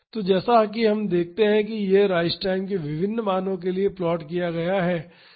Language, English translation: Hindi, So, as we can see this is plotted for different values of rise time that is tr by Tn